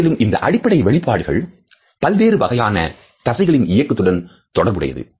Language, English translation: Tamil, And these basic expressions are associated with distinguishable patterns of muscular activity